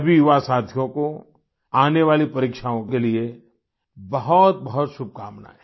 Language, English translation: Hindi, Best wishes to all my young friends for the upcoming exams